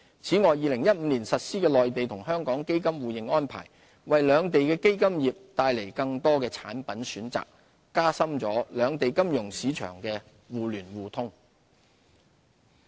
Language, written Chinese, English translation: Cantonese, 此外 ，2015 年實施的內地與香港基金互認安排，為兩地的基金業帶來更多產品選擇，並加深兩地金融市場的互聯互通。, The implementation of the Mainland - Hong Kong Mutual Recognition of Funds Arrangement since 2015 also has brought about a wider range of products for the fund business and fuller mutual access between financial markets in both places